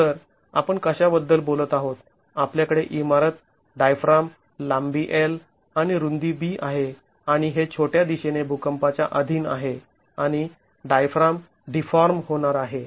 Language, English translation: Marathi, We have the building, the diaphragm, length L and width B and this is subjected to earthquake in the shorter direction and the diaphragm is going to deform